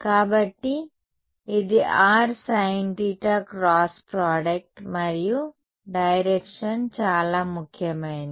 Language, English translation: Telugu, So, it will be r’s sin right cross product and direction more importantly